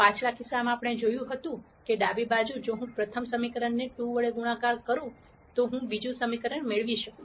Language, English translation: Gujarati, In the previous case we saw that the left hand side, if I multiply the first equation by 2, I get the second equation